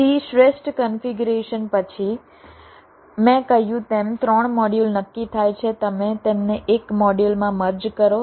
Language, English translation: Gujarati, so after the optimal configuration for the three modules are determined, as i said, you merge them into a single module